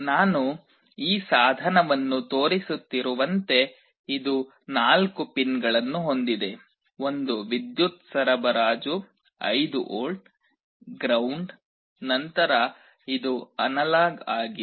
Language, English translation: Kannada, Like I am showing this device, it has four pins; one is the power supply 5 volts, ground, then this is analog out